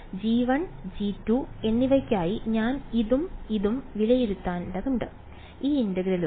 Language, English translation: Malayalam, So, these integrals are the ones I have to evaluate this and this for both g 1 and g 2 ok